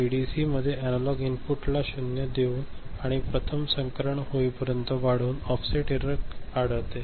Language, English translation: Marathi, And in ADC offset error is found by giving zero to analog input and increasing it till first transition occurs